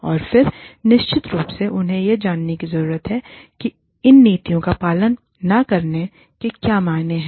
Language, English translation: Hindi, And then, of course, they need to know, what the repercussions of, not following these policies are